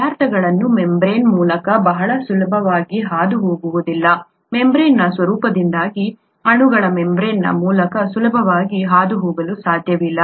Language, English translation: Kannada, Substances cannot very easily pass through the membrane; molecules cannot very easily pass through the membrane because of the nature of the membrane